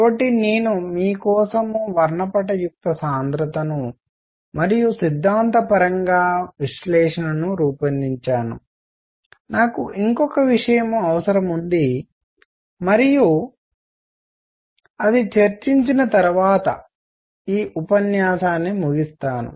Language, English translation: Telugu, So, I have designed a spectral density for you and theoretically analysis, I will need one more thing and that is I will do that and then this lecture gets over